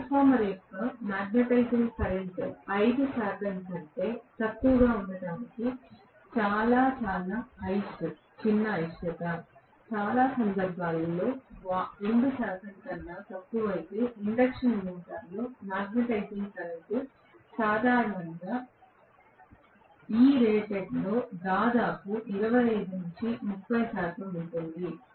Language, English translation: Telugu, Very very small reluctance that is the reasons why magnetizing current of the transformer is only less that 5 percent, less than 2 percent in most of the cases whereas in an induction motor the magnetizing current generally is almost 25 to 30 percent of I rated, for an induction motor